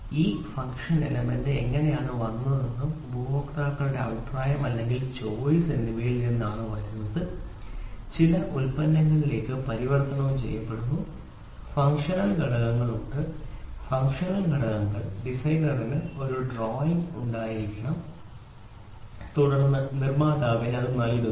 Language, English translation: Malayalam, So, how did this function element come this came from the customers voice, customer voice or choice it came he converted into some product and the functional elements are there, functional elements the designer should have a drawing and then he is we are giving it to the manufacturer